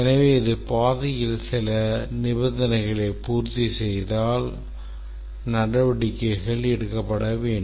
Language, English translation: Tamil, So, if it satisfies certain conditions on the path, then these actions will be taken